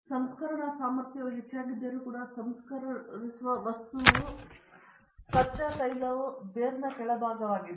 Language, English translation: Kannada, The refining capacity even though increased, the refining material the crude oil is the bottom of the barer